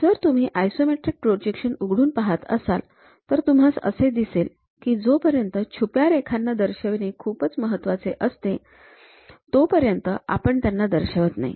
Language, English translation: Marathi, If you are opening any isometric projections; we usually do not show those hidden lines, unless it is very important to show